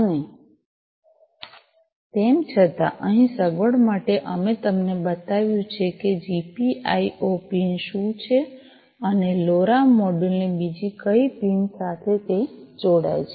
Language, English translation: Gujarati, And however, for convenience over here we have shown you that what is this GPIO pin and where to which other pin of the LoRa module it connects, right